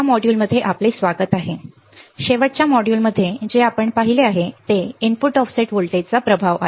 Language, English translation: Marathi, Welcome to this module in the last module what we have seen is the effect of the input offset voltage right